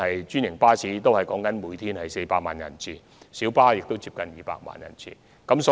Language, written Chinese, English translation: Cantonese, 專營巴士每天服務400萬人次，而小巴亦服務近200萬人次。, Franchised buses provide services for 4 million passengers a day whereas minibuses also serve nearly 2 million passengers